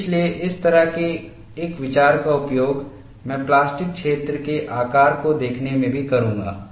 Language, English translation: Hindi, So, that kind of an idea I would use in looking at the plastic zone shape also